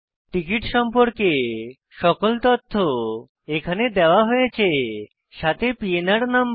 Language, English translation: Bengali, Note that all the information about the ticket are also given including the PNR number